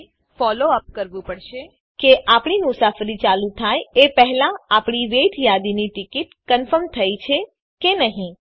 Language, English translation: Gujarati, Which we will have to follow up to see whether our wait listed ticket gets confirmed before we begin the journey